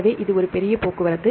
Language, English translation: Tamil, So, this is a major transport